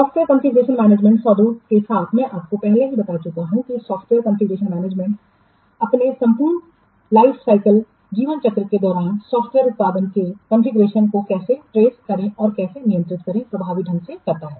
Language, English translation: Hindi, Software configuration management deals with, I have already told you, that software configuration management deals with effectively how to track and how to control the configuration of a software product during its entire lifecycle